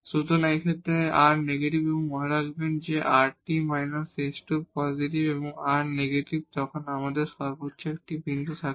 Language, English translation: Bengali, So, in this case the r is negative and remember when r t minus s square is positive and r is negative then we have a point of maximum